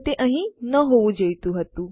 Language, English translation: Gujarati, That wasnt supposed to be there